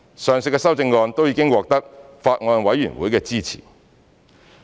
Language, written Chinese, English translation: Cantonese, 上述的修正案都已獲得法案委員會的支持。, The above amendments have the support of the Bills Committee